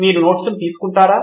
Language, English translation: Telugu, Have you taken down the notes